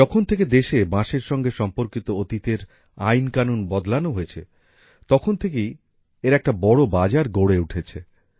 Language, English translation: Bengali, Ever since the country changed the Britishera laws related to bamboo, a huge market has developed for it